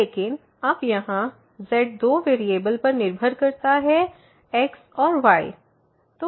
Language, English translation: Hindi, But now here the z depends on two variables x and y